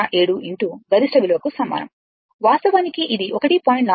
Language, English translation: Telugu, 707 into maximum value, that is actually 1